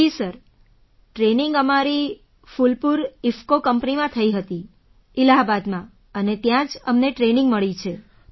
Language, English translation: Gujarati, Ji Sir, the training was done in our Phulpur IFFCO company in Allahabad… and we got training there itself